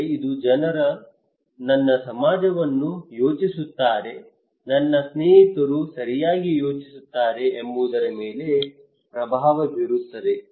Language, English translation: Kannada, But this is also influenced by what other people think my society thinks, my friends thinks right